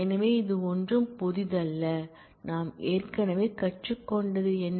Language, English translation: Tamil, So, it is nothing new over; what we have already learned